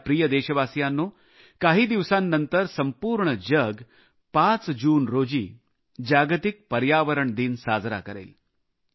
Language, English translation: Marathi, a few days later, on 5th June, the entire world will celebrate 'World Environment Day'